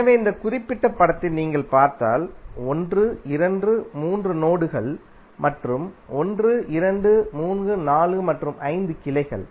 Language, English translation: Tamil, So in this particular figure if you see you will have 1, 2, 3 nodes and 1,2,3,4 and 5 branches